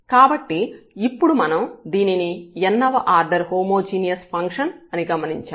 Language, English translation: Telugu, So, what we observe that this is a function this is a homogeneous function of order n